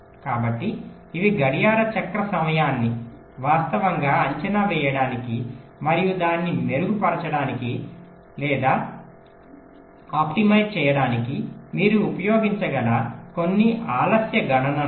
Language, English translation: Telugu, ok, so these are some delay calculation you can use to actual estimate the clock cycle time and to improve or or optimise one